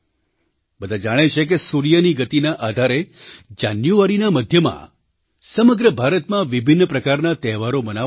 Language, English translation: Gujarati, We all know, that based on the sun's motion, various festivals will be celebrated throughout India in the middle of January